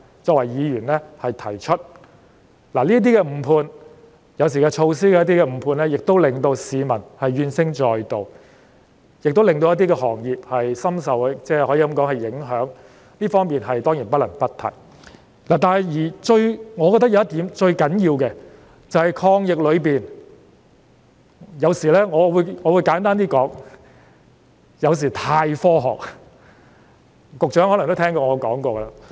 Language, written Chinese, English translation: Cantonese, 政府那些誤判——有時是有關措施的誤判——令市民怨聲載道，亦令一些行業深受影響，這當然不得不提，但是，我認為最重要的一點，就是有關抗疫的決策——我簡單說——有時過分基於科學。, The Governments misjudgements―sometimes related to its measures―have led to cries of discontent from members of the public and seriously affected some trades and industries . This is something that must be pointed out for sure . But I think the most important point is that our decisions about fighting the pandemic―let me put it simply―sometimes rely too much on science